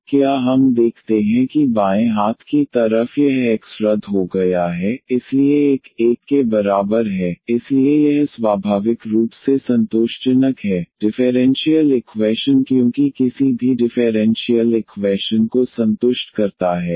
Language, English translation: Hindi, So, do we see the left hand side this x get cancelled, so 1 is equal to 1 so this is naturally satisfying, the differential equation because for any c that satisfy the differential equation